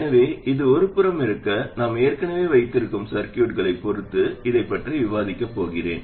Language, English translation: Tamil, So this is just an aside because I am going to discuss this with respect to the circuits that we already have